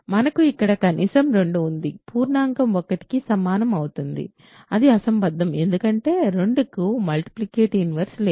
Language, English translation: Telugu, So, we have 2 at least 2 here times an integer equals 1 that is absurd because 2 does not have a multiplicative inverse